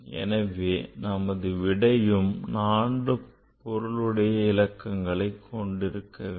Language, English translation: Tamil, So, this number has 4 significant figures